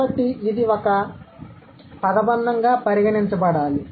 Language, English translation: Telugu, So it must be considered as a phrase